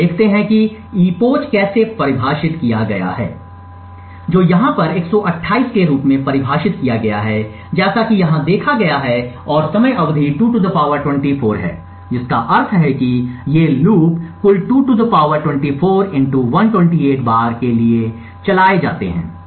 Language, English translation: Hindi, So, we look at how the epoch is defined which is defined to 128 over here as seen over here and the time period is 2 ^ 24 which means that these loops are run for a total of (2 ^ 24) * 128 times